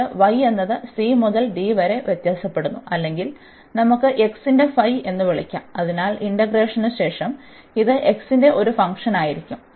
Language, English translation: Malayalam, And then y varies from c to d or which we can call like phi of x, so because this will be a function of x after the integration